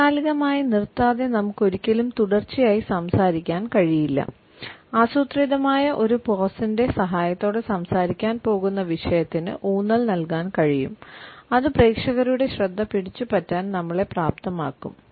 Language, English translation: Malayalam, We can never continually speak without inserting a pause, we can emphasize the upcoming subject with the help of a plant pause then it would enable us to hold the attention of the audience